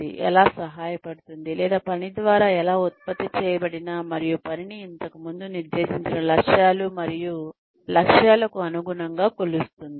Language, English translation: Telugu, How it will help or how it will go through the work, that has been produced, and measure the work, in line with the objectives and targets, that were set earlier